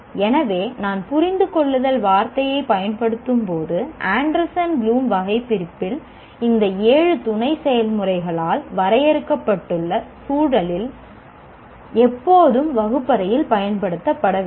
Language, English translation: Tamil, So when I use the word understand, it should always be used in the classroom in the context of what has been defined by the seven sub processes in the Anderson Bloombe taxonomy